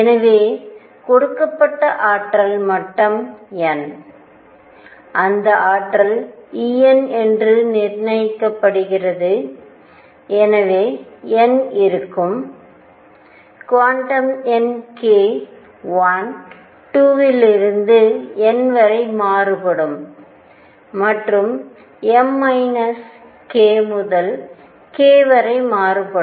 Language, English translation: Tamil, So, for a given n a given energy level right, that energy is fixed E n, I would have n, the quantum number k would vary from 1, 2 and up to all the way up to n and m which varied from minus k to k